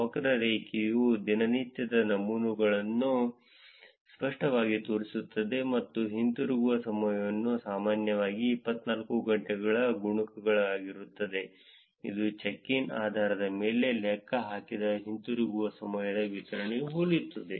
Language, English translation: Kannada, The curve shows clearly daily patterns with returning times often being multiples of 24 hours which is very similar to the distribution of returning times computed based on the check ins